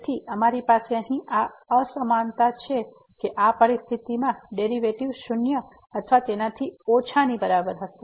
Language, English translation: Gujarati, So, we have here this inequality that the derivative will be less than equal to in the situation